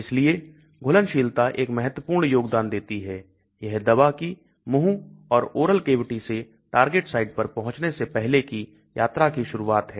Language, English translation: Hindi, So solubility plays a very important role that is the starting of the journey of the drug from the mouth or the oral cavity before it reaches the target site